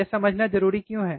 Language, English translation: Hindi, Why important to understand